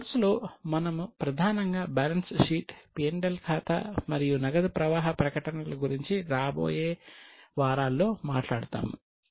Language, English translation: Telugu, In this course we will mainly be talking about balance sheet, P&L account and cash flow statement in coming weeks